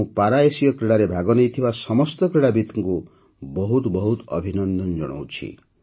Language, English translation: Odia, I congratulate all the athletes participating in the Para Asian Games